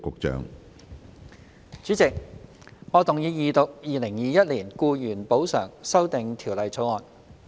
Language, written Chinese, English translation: Cantonese, 主席，我動議二讀《2021年僱員補償條例草案》。, President I move the Second Reading of the Employees Compensation Amendment Bill 2021 the Bill